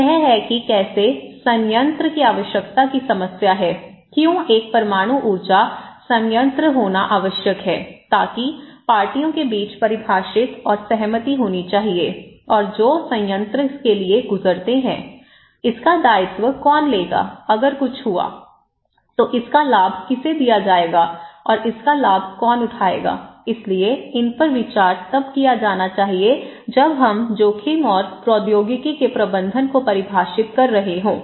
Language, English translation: Hindi, So, that’s how the problem of the need for the plant, why it is necessary to have a nuclear power plant, so that should be defined and agreed among the parties and who pass for the plant, who will take the liability of it, if something happened, who will be benefited out of it and who will take the benefit of it so, these should be considered when we are defining the risk and the management of the technology